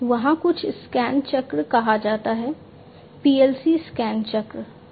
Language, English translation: Hindi, So, there is something called the scan cycle, PLC scan cycle